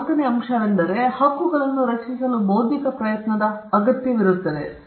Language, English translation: Kannada, So, the fourth point is the fact that it requires an intellectual effort to create these rights